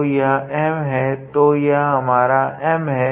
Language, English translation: Hindi, So, that M; so, this is my M